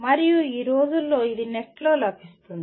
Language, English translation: Telugu, And these days it is available on the net